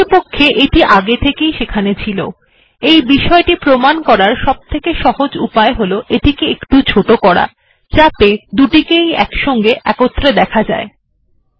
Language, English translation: Bengali, In fact, what I did was, it was already there, so then easiest way to convince you is, let me just, make it smaller, so I can see both simultaneously